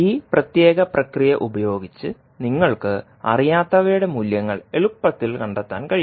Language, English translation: Malayalam, So basically with this particular process, you can easily find out the values of the unknowns